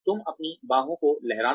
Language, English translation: Hindi, You wave your arms